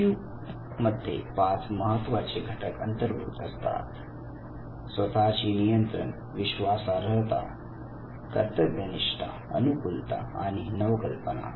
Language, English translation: Marathi, An EQ has basically five different components self control trustworthiness conscientiousness adaptability and innovation